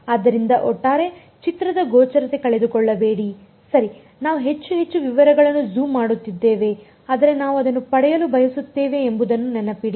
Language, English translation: Kannada, So, do not lose sight of the overall picture right we are zooming in and in more and more into details, but remember that is what we want to get at